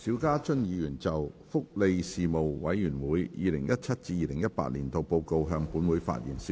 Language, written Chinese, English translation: Cantonese, 邵家臻議員就"福利事務委員會 2017-2018 年度報告"向本會發言。, Mr SHIU Ka - chun will address the Council on the Report of the Panel on Welfare Services 2017 - 2018